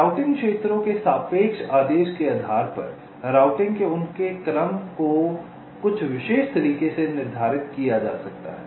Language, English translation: Hindi, depending on the relative order of the routing regions, their order of routing can be determined in some particular way